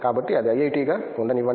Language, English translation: Telugu, So, let it be IIT